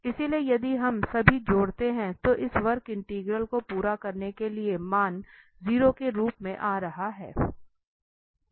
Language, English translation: Hindi, So, if we add all 3 to get the complete this curve integral, the value is coming as 0